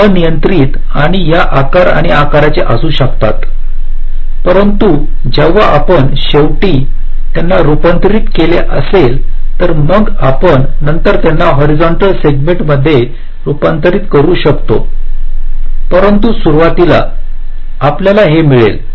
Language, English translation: Marathi, they can be of arbitrary and these shapes and sizes, but when you finally convert them, may be you can convert them into segment, horizontal, vertical later on, but initially you have got this